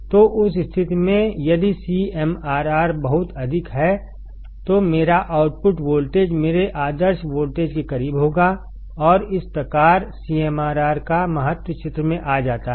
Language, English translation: Hindi, So, in that case if CMRR is extremely high, my output voltage would be close to my ideal voltage and thus the importance of CMRR comes into picture